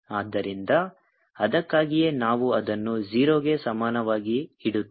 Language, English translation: Kannada, so that is why we are putting in it equal to it